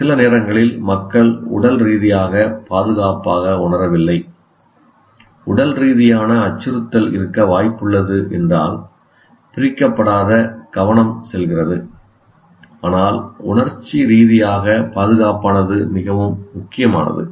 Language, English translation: Tamil, If sometimes people may physically may not feel safe, but if there is a physical, likely to be a physical threat, obviously the entire attention goes, but emotionally secure